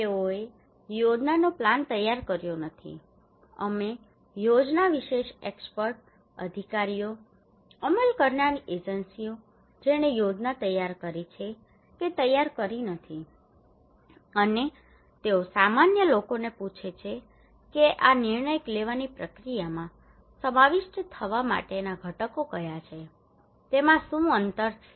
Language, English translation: Gujarati, They did not prepare the plan we prepared the plan experts, authorities, implementing agencies they prepared the plan, and they are asking common people that what are the gaps there what are the components to be incorporated into this decision making process